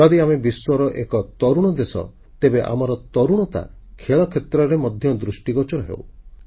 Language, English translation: Odia, If we are a young nation, our youth should get manifested in the field sports as well